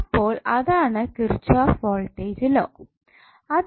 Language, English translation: Malayalam, So that is simply the Kirchhoff’s voltage law